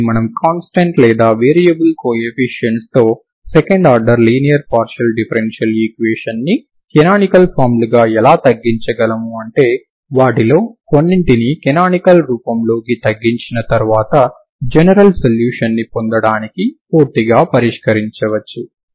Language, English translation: Telugu, So this is how we can reduce second order linear partial differential equation with constant or variable coefficients into a canonical forms some of them after reducing into canonical form can be solved completely to get the general solution